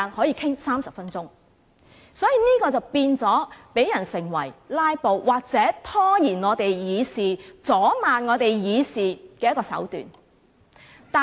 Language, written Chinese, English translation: Cantonese, 因此，提出中止待續議案成為"拉布"或拖延立法會議事、阻礙立法會議事的手段。, So it has become a tactic for them to move an adjournment motion in order to filibuster or delay and obstruct the Legislative Councils discussion progress